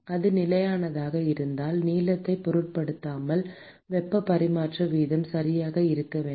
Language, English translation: Tamil, If, it were to be constant, then irrespective of the length, the heat transfer rate should be exactly the same